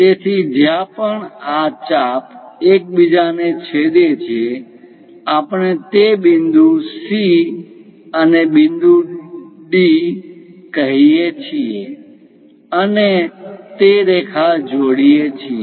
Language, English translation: Gujarati, So, wherever these arcs are intersecting; we call that point C and point D and join that lines